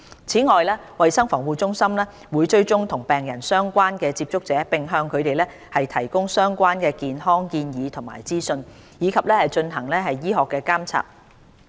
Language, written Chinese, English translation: Cantonese, 此外，衞生防護中心會追蹤與病人相關的接觸者，並向他們提供相關健康建議及資訊，以及進行醫學監察。, Besides CHP will trace the patients contacts in order to provide them with relevant health advice and information and put them under medical surveillance